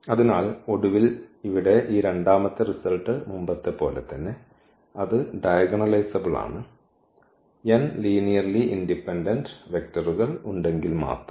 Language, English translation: Malayalam, So, eventually this second result here is again the same as this previous one; that is diagonalizable, if and only if it has n linearly independent vectors